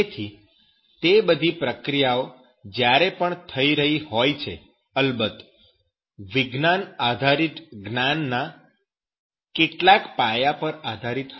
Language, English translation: Gujarati, So, all those processes, whenever being done that processes, of course, will be based on some fundamentals of the knowledge on sciences